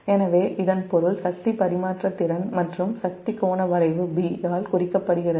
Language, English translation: Tamil, so that means the power transfer capability and the power angle curve is represented by curve b